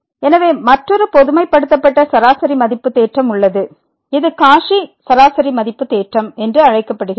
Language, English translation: Tamil, So, there is another one the generalized mean value theorem which is also called the Cauchy mean value theorem